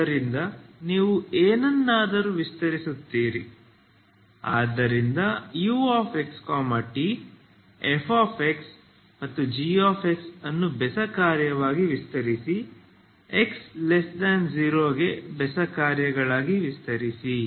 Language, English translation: Kannada, So something like this you extend it ok, so extend U X T, FX GX as odd function extend to X negative side as as odd functions ok